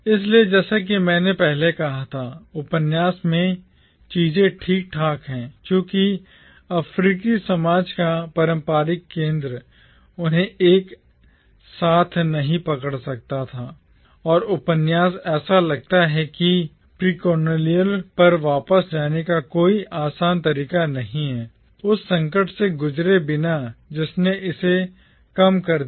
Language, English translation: Hindi, So, as I said earlier, things fall apart in the novel precisely because, the traditional centre of the African society, could not hold them together and what the novel seems to suggest therefore is that there is no easy way of going back to the precolonial past without thinking through the crisis that undermined it